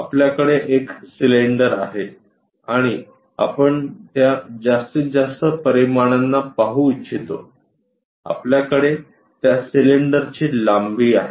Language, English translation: Marathi, We have a cylinder here and we would like to visualize that maximum dimensions, what we are having is this length of that cylinder